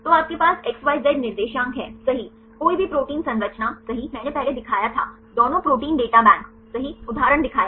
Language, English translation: Hindi, So, you have the XYZ coordinates right any protein structure if you go I discuss I showed earlier the both the Protein Data Bank right one example